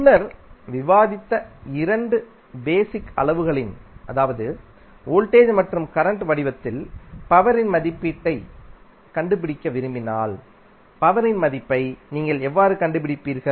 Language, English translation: Tamil, Now, if you want to find out the value of power p in the form of two basic quantities which we discussed previously that is voltage and current